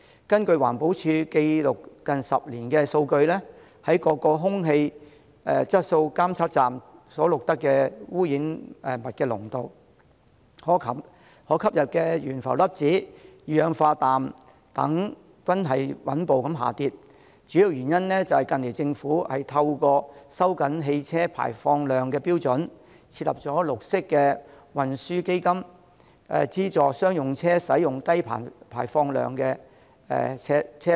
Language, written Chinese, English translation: Cantonese, 根據環保署記錄近10年的數據，各空氣質素監測站所錄得的污染物濃度、可吸入懸浮粒子、二氧化氮等均穩步下跌，主要原因是政府近來透過收緊汽車排放量的標準，並設立綠色運輸基金，資助商用車使用低排放量車輛。, According to the data for the past 10 years of the Environmental Protection Department the air pollutant concentration and the levels of respirable suspended particulates and nitrogen dioxide recorded at various air quality monitoring stations have been in a steady decline mainly because the Government has in recent years tightened the standards of vehicle emissions and set up the Green Transport Fund to subsidize the use of low - emission commercial vehicles